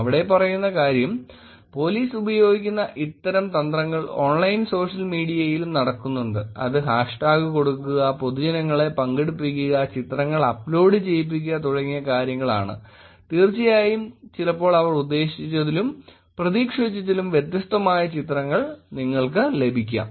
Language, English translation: Malayalam, The point here is that, these kinds of strategies that police use is also happening on Online Social Media which is to take up the hash tag, get public to participate and uploading the pictures and of course sometimes you get different kinds of pictures than what they meant or expected